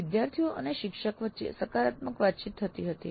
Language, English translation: Gujarati, Positive interaction between the students and instructor existed